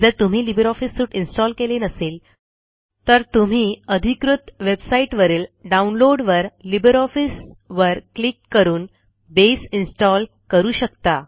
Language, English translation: Marathi, If you have not installed LibreOffice Suite, you can install Base by visiting the official website and clicking on the green area that says Download LibreOffice